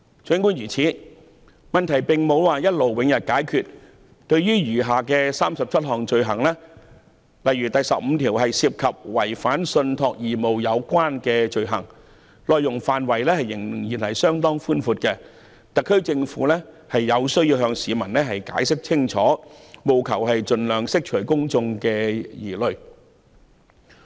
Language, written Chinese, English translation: Cantonese, 儘管如此，這個問題並無一勞永逸的解決方法，對於餘下37項罪類，例如第15項涉及違反信託義務的罪行，範圍仍然相當廣泛，特區政府有需要向市民解釋清楚，盡量釋除公眾疑慮。, Nevertheless there is no perpetual solution to this problem . For the remaining 37 items of offences such as the 15 item on offences against the law relating to breach of trust the scope is still rather extensive . The HKSAR Government needs to explain clearly to the public and do its best to allay public concern